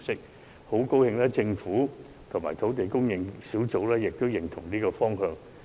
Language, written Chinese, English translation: Cantonese, 我很高興政府和土地供應專責小組均贊同這個方向。, I am pleased to note that the Government and the Task Force both agree to this direction